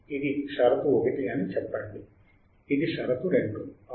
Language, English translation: Telugu, Let us say this is condition one; this is condition two right